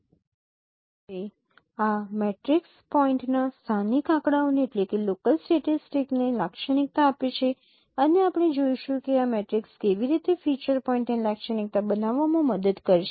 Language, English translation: Gujarati, Now this matrix characterizes the local statistics of the point and we will see how this matrix will help us in characterizing a feature point